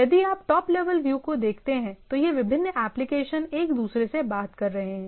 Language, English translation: Hindi, So if you look at the at the top level view so, these different applications are talking to each other, right